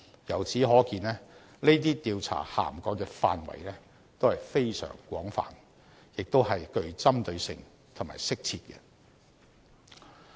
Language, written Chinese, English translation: Cantonese, 由此可見，這些調查涵蓋的範圍都是非常廣泛，亦是很具針對性和適切的。, We can thus see that these investigations have a wide coverage and they are very targeted and appropriate